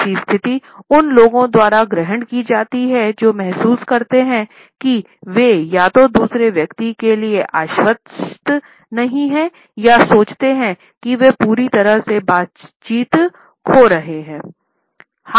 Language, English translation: Hindi, It is also a position which is assumed by those who feel that they are either not convincing to the other person or think that they might be losing the negotiation altogether